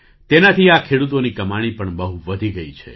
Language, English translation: Gujarati, This has also enhanced the income of these farmers a lot